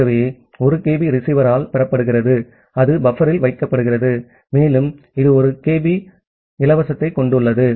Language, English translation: Tamil, So, that 1 kB is received by the receiver it put it in the buffer and it has 1 kB of free